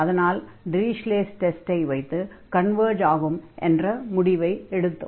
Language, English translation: Tamil, So, in this case we can apply now Dirichlet results Dirichlet test, which says that this integral converges